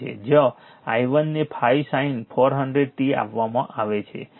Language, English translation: Gujarati, 5, where i 1 is given 5 sin 400 t